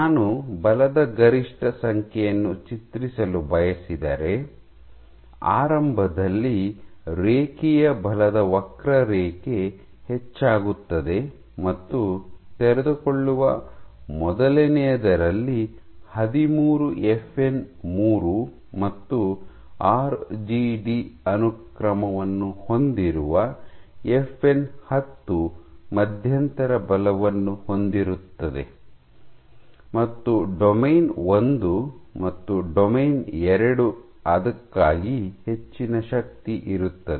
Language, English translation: Kannada, If I want to draw force peak number, so at the initial ones, you will have a linear force curve increase in forces and among the very first ones which unfold is thirteen FN 3 your FN 10 which contains the RGD sequence has an intermediate force and among the highest forces domain 1 and domain 2